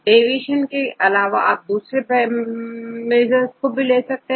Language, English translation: Hindi, Instead of deviation, you can also try to use some other measures